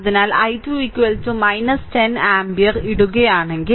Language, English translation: Malayalam, So, if you put i 2 is equal to minus 10 ampere